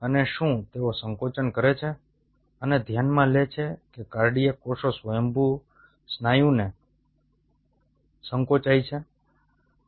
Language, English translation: Gujarati, and, and mind it, cardiac cells are spontaneously contracting muscle